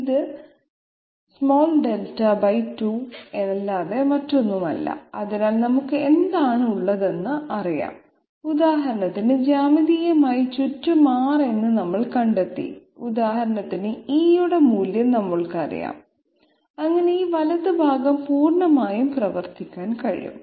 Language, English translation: Malayalam, It is nothing but Delta by 2, so what do we have is known, we have found out R in this that round about manner geometrically for example, we know the value of E so that this right hand side can be completely worked out